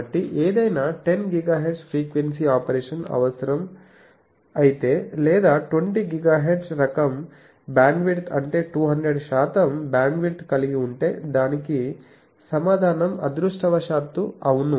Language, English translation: Telugu, If I require 10 GHz or can it have 20 GHz type of bandwidth that means 200 percent bandwidth, the answer is fortunately yes people have come up with such type of things